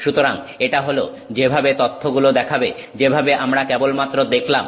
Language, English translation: Bengali, So, that is how the data would look like, which we just saw